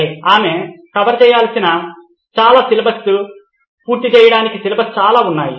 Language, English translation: Telugu, Well she has lot of syllabus to cover, lot of syllabus to cover